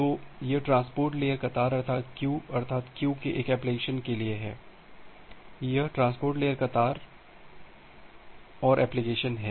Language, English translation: Hindi, So, this transport layer queue is for one application, this transport layer queue is another application